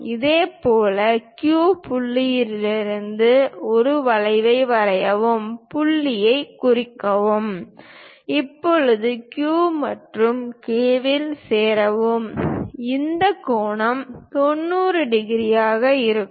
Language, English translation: Tamil, Similarly, from Q, similarly, from Q point, draw an arc, mark the point; now, join Q and K, and this angle will be 90 degrees